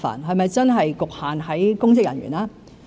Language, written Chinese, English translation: Cantonese, 是否真的局限於公職人員？, Should it really cover public officers only?